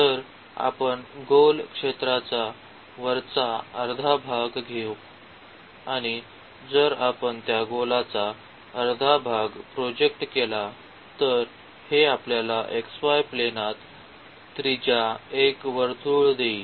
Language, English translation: Marathi, So, we will take for instance the upper half part of the sphere and if we project that upper half part of the sphere; this will give us the circle of radius a in the xy plane